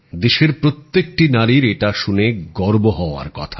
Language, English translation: Bengali, Every woman of the country will feel proud at that